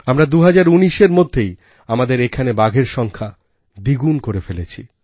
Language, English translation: Bengali, We doubled our tiger numbers in 2019 itself